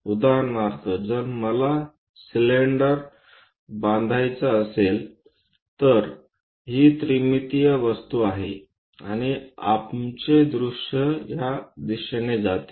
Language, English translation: Marathi, For example, if I would like to construct a cylinder; this is the 3 dimensional object and our view follows from this direction